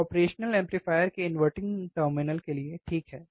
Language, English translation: Hindi, How can we use an operational amplifier as an inverting amplifier